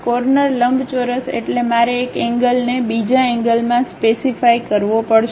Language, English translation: Gujarati, Corner rectangle means I have to specify one corner to other corner